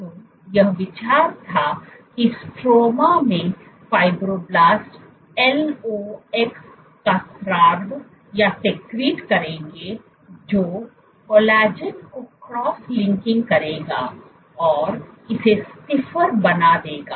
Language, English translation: Hindi, So, the idea was the fibroblasts in the stroma would secrete lox which will cross link the collagen and make it stiffer